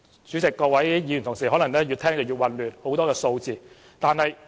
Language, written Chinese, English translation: Cantonese, 主席，各位議員同事可能越聽越混亂，有很多數字。, President Members may get confused as there are so many figures involved